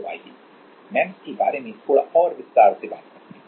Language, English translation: Hindi, So, let us talk about in little bit more detail about MEMS